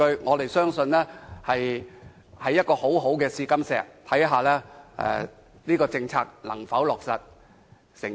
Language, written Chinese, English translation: Cantonese, 我們相信會是一塊很好的試金石，看看這項政策能否成功。, We believe this will be a good litmus test for determining the effectiveness of this policy measure